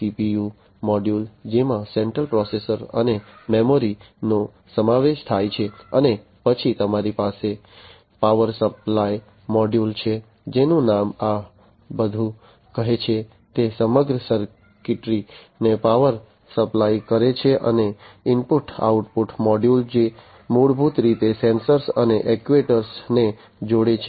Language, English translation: Gujarati, The CPU module which consists of the central processor and the memory, and then you have the power supply module, which the name says it all, it supplies power to the entire circuitry, and the input output module which basically connects the sensors and the actuators